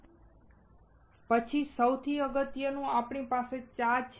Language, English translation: Gujarati, [FL] Then most importantly we have tea